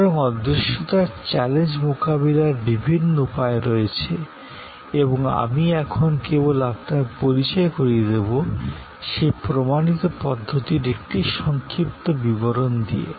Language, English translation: Bengali, So, there are number of ways of addressing the challenge of intangibility and I am now going to only introduce to you, a brief overview of those proven approaches